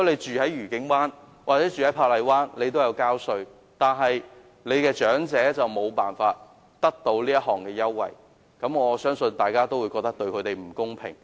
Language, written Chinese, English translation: Cantonese, 住在愉景灣或珀麗灣的市民同樣有繳稅，但他們的長者卻無法享用這優惠，我相信大家會覺得這對他們不公平。, Residents of Discovery Bay and Park Island are also taxpayers . But their elderly people are not entitled to the fare concession . I believe Members will also agree that this is unfair to them